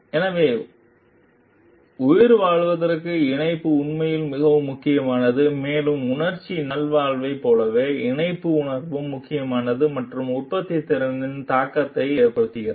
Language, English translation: Tamil, So, attachment is really very important for survival, and a sense of connection is important for like emotional well being and has an impact on productivity